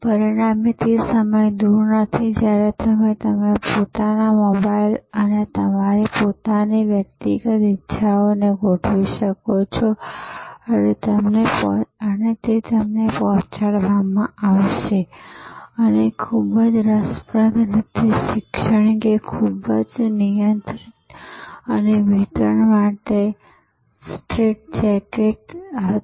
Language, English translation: Gujarati, As a result of which time is not far, when you can configure your own mobile and your own personal desires and it will be delivered to you and very interestingly, education which was quite regulated and straitjacket for delivery